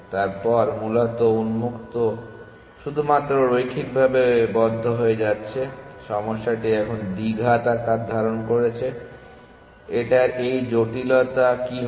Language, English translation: Bengali, Then, essentially open is only going linearly close is going as quadratic of the size of the problem what would be the complexity of this